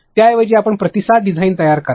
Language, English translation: Marathi, Instead, of you create responsive design